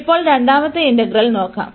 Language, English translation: Malayalam, Now, we will look at the second integral